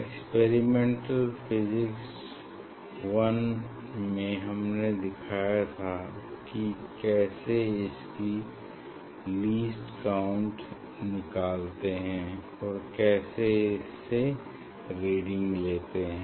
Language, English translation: Hindi, You know in experiment physics 1 I have showed you that how to calculate the least count and how to take reading